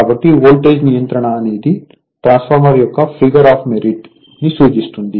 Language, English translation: Telugu, So, voltage regulation is a figure of merit of a transformer